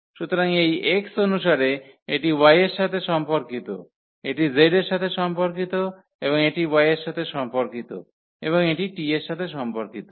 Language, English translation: Bengali, So, corresponding to this x this is corresponding to y this is corresponding to z and this is corresponding to y and this is corresponding to t